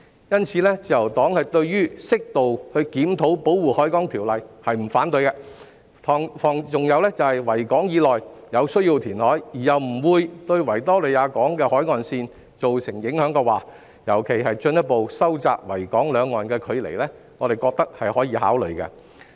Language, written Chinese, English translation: Cantonese, 因此，自由黨對於適度檢討《條例》並不反對，如果在維港以內有需要填海，而又不會對維港海岸線造成影響，尤其是不會進一步收窄維港兩岸的距離，我們認為可以考慮。, Therefore the Liberal Party does not object to the appropriate review of the Ordinance . If there is a need to carry out reclamation in the Victoria Harbour we think that it can be put into consideration as long as it will not affect the shoreline of the Victoria Harbour particularly if it will not further narrow the distance between the two sides of the Victoria Harbour